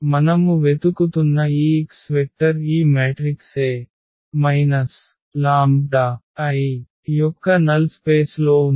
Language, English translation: Telugu, So, this x vector which we are looking for is in the null space of this matrix A minus lambda I